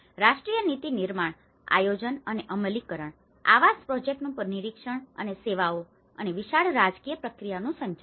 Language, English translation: Gujarati, The national policy making, the planning and implementation, monitoring of housing projects and the managing of the services and wider political processes